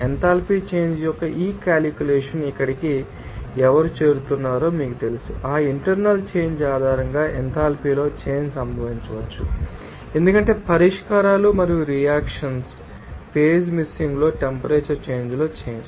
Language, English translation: Telugu, And this calculation of enthalpy change, you know who are getting here, based on that internal change that change in enthalpy can occur because of change in temperature change in phase mixing of solutions and reactions